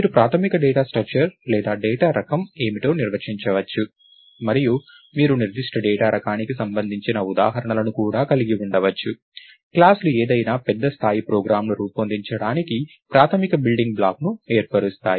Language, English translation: Telugu, data structure is or the data type is, and you can also have instances of that particular data type and classes form the basic building block for building any large scale program